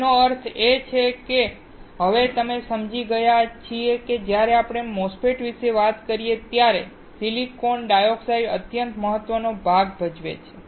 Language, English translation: Gujarati, That means, now we understood that the silicon dioxide is extremely important part when we talk about a MOSFET